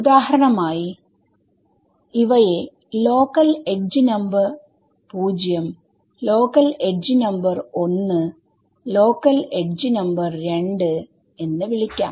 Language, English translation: Malayalam, So, for example, these can be I will call this local edge number 0, local edge number 1, local edge number 2 ok